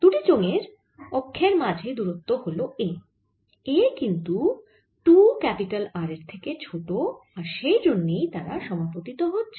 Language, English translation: Bengali, the distance between the axis of the two cylinders is a, and a is less than two r and therefore there is an